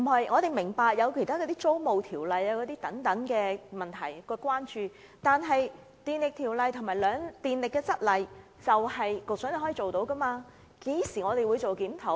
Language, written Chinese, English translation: Cantonese, 我們明白當局對現行租務條例等問題的關注，但檢討《電力條例》及《供電則例》是局長能力範圍以內的事，何時才會檢討？, We are aware of the authorities concern about the present laws concerning tenancy and the related problems . As the review of the Electricity Ordinance and the Supply Rules is within the ambit of the Secretary when will he conduct a review?